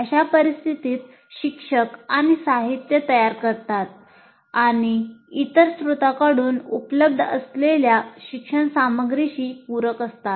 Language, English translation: Marathi, In such case, the teacher prepares some material and supplements the learning material available from the other sources